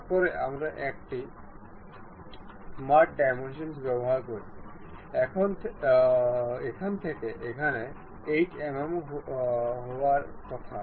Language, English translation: Bengali, Then we use smart dimension, from here to here it supposed to be 8 mm